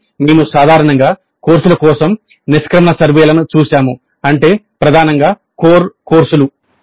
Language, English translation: Telugu, So, we looked at the exit surveys for courses in general which means predominantly core courses